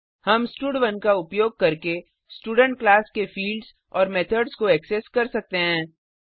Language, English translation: Hindi, We can access the fields and methods of the Student class using stud1